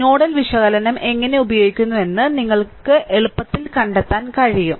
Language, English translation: Malayalam, So, easily you can easily you can find out how using nodal analysis